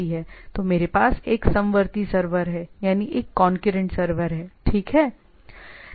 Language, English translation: Hindi, So, I have a concurrent server, right